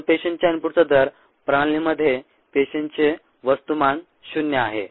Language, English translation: Marathi, so for, therefore, the rate of input of cells, mass of cells, into the system is zero